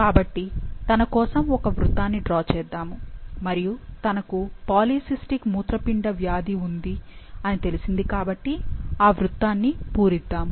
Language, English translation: Telugu, So, let's draw a circle for her and as she was diagnosed for the polycystic kidney disease, so we will fill this circle